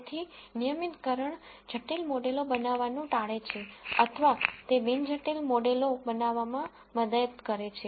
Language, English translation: Gujarati, So, regularization avoids building complex models or it helps in building non complex models